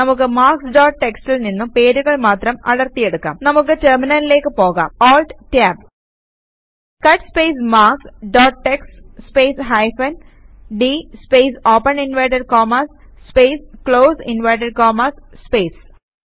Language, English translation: Malayalam, Let us pull out the names from marks dot txt Let us go to the terminal ALT Tab cut space marks dot txt space hyphen d space open inverted commas space close inverted commas space